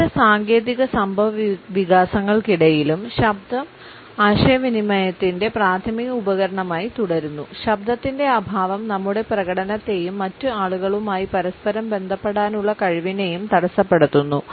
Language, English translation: Malayalam, Voice continuous to remain the primary tool of communication despite various technological developments, we find that the absence of voice hampers our performance and our capability to interconnect with other people